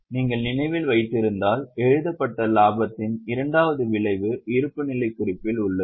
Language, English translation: Tamil, If you remember the second effect of profit retained is there in the balance sheet